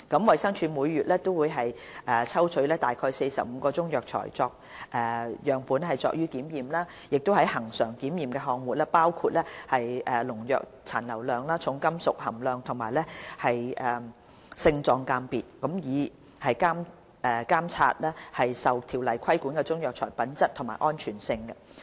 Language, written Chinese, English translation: Cantonese, 衞生署每月會抽取約45個中藥材樣本作檢驗，而恆常檢驗項目包括農藥殘留量、重金屬含量和性狀鑑別，以監察受《條例》規管的中藥材的品質和安全性。, DH will collect around 45 samples of Chinese herbal medicines every month and items subject to regular testing include pesticide residues heavy metals content and morphological identification will be tested for the purpose of monitoring the quality and safety of the Chinese herbal medicines regulated under CMO